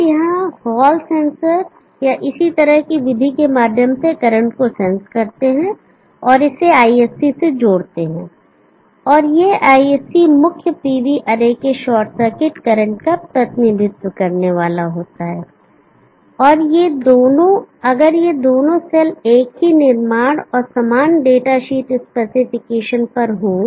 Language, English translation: Hindi, If you sense the current through hall sensor or similar such method and connect it to ISC, and this ISC is supposed to represent the short circuit current of the main PV array if these two cells are at the same manufacture and similar data sheets